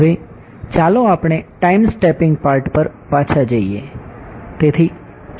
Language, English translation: Gujarati, Now, we let us go back to the time stepping part right